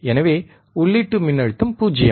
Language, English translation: Tamil, So, input voltage is 0